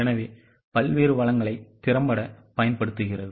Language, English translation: Tamil, So, there is effective utilization of various resources